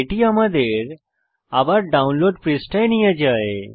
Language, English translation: Bengali, This takes us back to the download page